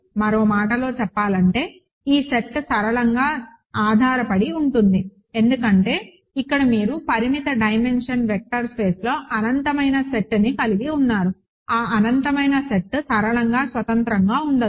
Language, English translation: Telugu, In other words, this set is linearly dependent, right, because you have an infinite set here in a finite dimensional vector space, that infinite set cannot be linearly independent